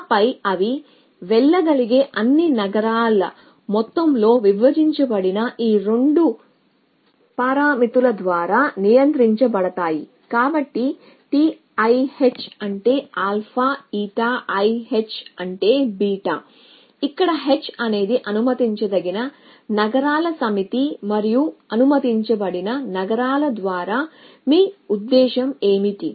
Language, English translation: Telugu, And then they a control by these 2 parameters divided by sum of all a city that it can go to so T i h is to alpha eta i h is to beta were h is the set of allowed city and what you mean by allowed cities